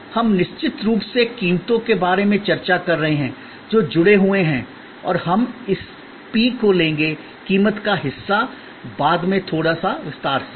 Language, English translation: Hindi, We are then of course discussed about prices, which are linked and we will take up this p, the price part in little detail later